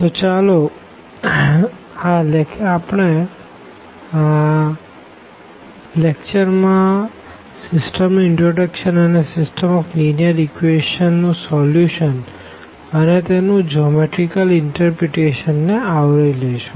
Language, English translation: Gujarati, So, we will be covering the introduction to the system and also the solution of the system of linear equations and their geometrical interpretation